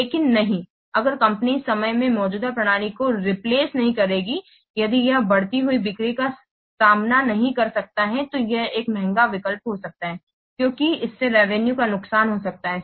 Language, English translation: Hindi, But if the company will not replace the existing system in time, that could be this could be an expensive option as it could lead to lost revenue